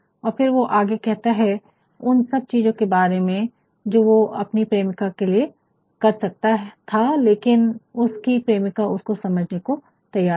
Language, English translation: Hindi, And, then he goes on to a list a lot of things that he could have done for his beloved, but then the beloved is not able to understand